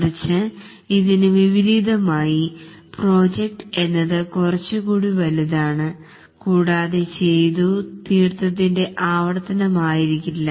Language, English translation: Malayalam, On the other hand, in contrast to this, in project it will be much more large and it's not a repetition of a previously accomplished task